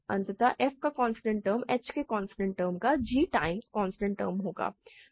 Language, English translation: Hindi, So, constant term of f is constant term of g times constant term of h